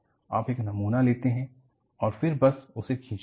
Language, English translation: Hindi, You take a specimen and then, just pull